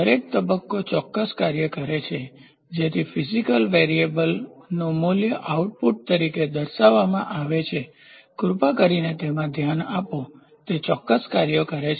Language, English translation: Gujarati, Each stage performs certain function so, that the value of the physical variable to be measured is displayed as output; please relook into it performs certain functions